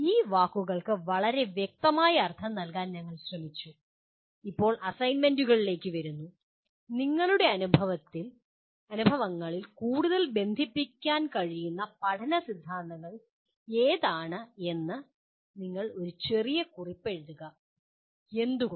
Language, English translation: Malayalam, We tried to give very specific meaning to these words and now coming to the assignments, you write a small note which one of the learning theories you can relate to more in your experiences and why